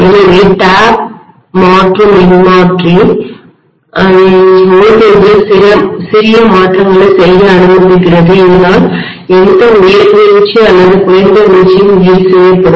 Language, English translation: Tamil, So the tap changing transformer allows you to make minor adjustments in the voltage, so that any higher drop or lower drop is compensated for